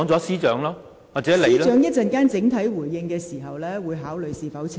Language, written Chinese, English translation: Cantonese, 司長稍後作整體回應時，會考慮是否澄清。, When Secretary for Justice gives his overall response later he would consider whether to make a clarification